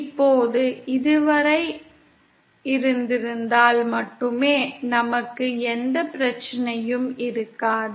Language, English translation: Tamil, Now had it been till this point only we would not have any problem